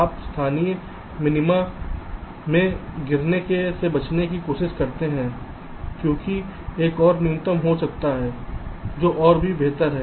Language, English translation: Hindi, you try to try to avoid from falling into the local minima because there can be another minimum which is even better